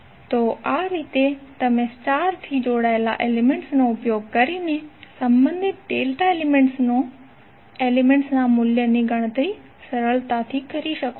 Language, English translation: Gujarati, So in this way you can easily calculate the value of the corresponding delta elements using star connected elements